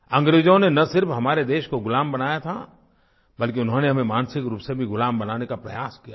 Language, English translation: Hindi, The Britishers not only made us slaves but they tried to enslave us mentally as well